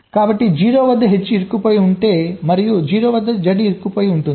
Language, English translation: Telugu, so h stuck at zero will also be there and z stuck at zero will also be there